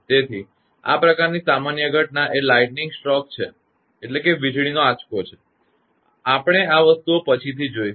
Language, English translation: Gujarati, So, for a common phenomena of this kind of thing is a lightning stroke say; we will come to that those things later